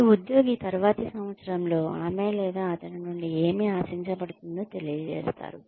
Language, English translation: Telugu, Every employee is asked, or informed as to, what is expected of her or him, in the next year